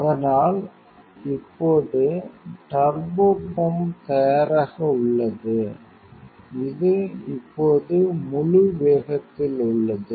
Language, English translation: Tamil, So; now, turbopump is ready connection this now it is at full speed